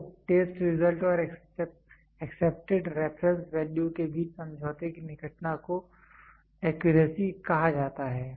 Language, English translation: Hindi, So, the closeness of agreement between the test result and the accepted reference value and the accepted reference value is called as accuracy